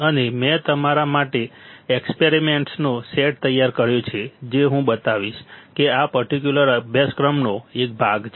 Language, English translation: Gujarati, And I have prepared a set of experiments for you guys which I will show is a part of this particular course